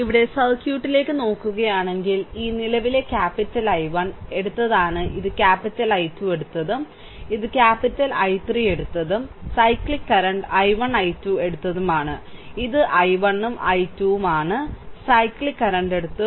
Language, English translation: Malayalam, So, here if you look into the circuit, if you look into the circuit, then this current capital I 1, we have taken this is capital I 2 we have taken and this is capital I 3 we have taken, right and the and the cyclic current i 1, i 2, we have taken, this isi 1 and this is i 2, the cyclic current we have taken, right